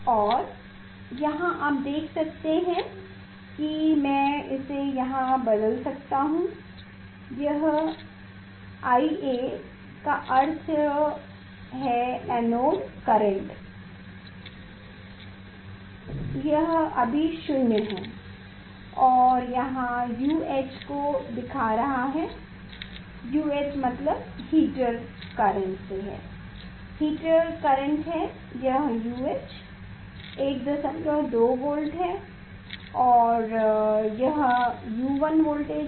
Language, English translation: Hindi, And, here you can see this I can change here it is a I A means it will show here anode current anode current it is now 0 and here it is showing this U H; U H means heater current is given heater current is given this is the U H 1